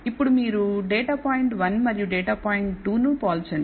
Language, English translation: Telugu, Now, you compare data point 1 and data point 2